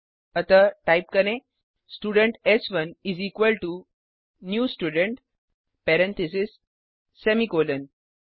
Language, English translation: Hindi, So type Student s1 is equal to new Student parentheses semicolon